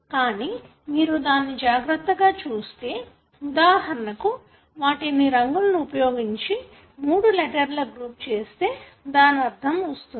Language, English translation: Telugu, But if you can carefully look at it and for example I colour coded them into a group of three letters, then it makes sense